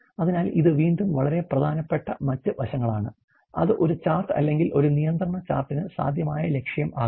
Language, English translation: Malayalam, So, this is again other very important aspect you know, which can be possible objective for a chart or a control chart